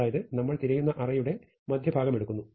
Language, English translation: Malayalam, So, we take the midpoint of the range we are searching for